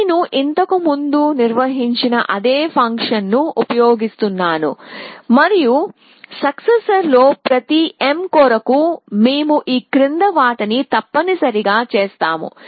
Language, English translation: Telugu, So, we I am using the same function that we have defined earlier and for each m in successors we do the following essentially